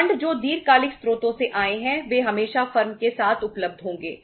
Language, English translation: Hindi, The funds which have come from the long term sources they would always be available with the firm